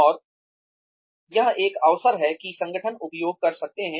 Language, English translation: Hindi, And, that is one opportunity, that organizations can make use of